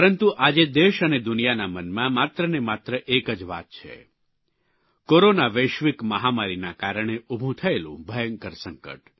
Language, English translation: Gujarati, But today, the foremost concern in everyone's mind in the country and all over the world is the catastrophic Corona Global Pandemic